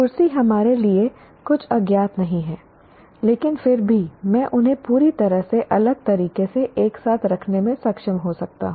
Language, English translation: Hindi, Chair is not something not known to us, but still I may be able to put them together in a completely different way